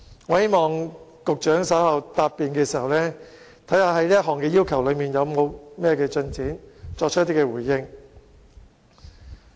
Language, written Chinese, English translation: Cantonese, 我希望局長稍後在答辯的時候，會就這項要求的進展，作出回應。, I hope the Secretary will give a response in relation to the progress of the request in his reply later on